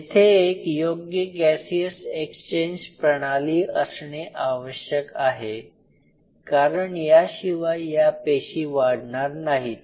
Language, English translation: Marathi, There has to be a proper Gaseous exchange which should take place, without the Gaseous exchange these cells are not going to grow